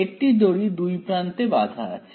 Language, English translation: Bengali, string tied at two ends